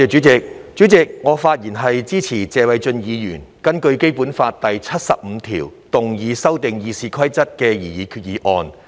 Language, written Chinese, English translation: Cantonese, 主席，我發言支持謝偉俊議員根據《基本法》第七十五條動議修訂《議事規則》的擬議決議案。, President I rise to speak in support of the proposed resolution moved by Mr Paul TSE under Article 75 of the Basic Law that the Rules of Procedure RoP be amended